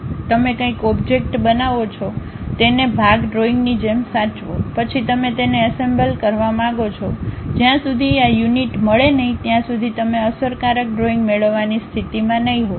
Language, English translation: Gujarati, You create something object, save it like part drawing, then you want to really make it assemble unless these units meets you will not be in a position to get effective drawing